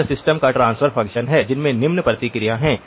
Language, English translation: Hindi, So this is the transfer function of the system that has the following response